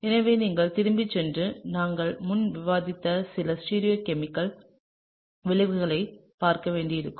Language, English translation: Tamil, So, you may have to go back and look at some of the stereochemical outcomes that we have discussed previously, okay